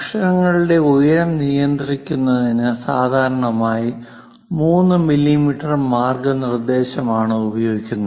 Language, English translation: Malayalam, To regulate lettering height, commonly 3 millimeter guidelines will be used; so your letters supposed to be lower than 3 millimeters